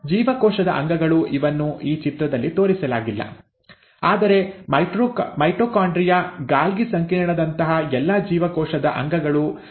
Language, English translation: Kannada, The cell organelles, it is not shown in this cartoon, but all the cell organelles like the mitochondria, the Golgi complex also gets equally distributed